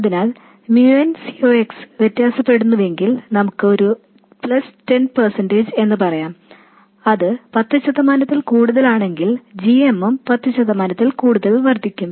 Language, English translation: Malayalam, So if mu and C Ox varies by let's say plus 10%, if it is higher by 10%, then GM will also be higher by 10%